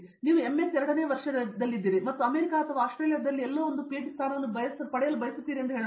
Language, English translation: Kannada, Let’s say you are in the second year of MS and you are aspiring a PhD position somewhere in the US or Australia whatever